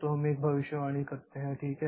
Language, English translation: Hindi, So, that is the prediction